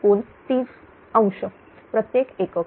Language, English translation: Marathi, 77442 angle 30 degree per unit